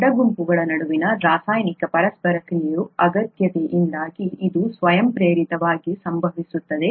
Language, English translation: Kannada, Its happens spontaneously, because of the need for the chemical interaction between the side groups